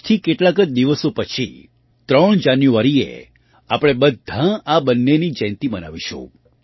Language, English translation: Gujarati, Just a few days from now, on January 3, we will all celebrate the birth anniversaries of the two